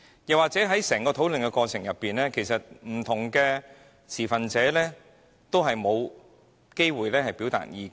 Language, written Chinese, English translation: Cantonese, 況且在整個討論過程中，不同持份者也沒有機會表達意見。, Moreover throughout the discussion process different stakeholders have not had any opportunity to express their views